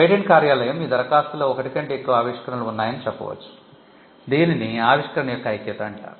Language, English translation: Telugu, The patent office may say that your application has more than one invention; this is called the unity of invention, that you can file only one application per invention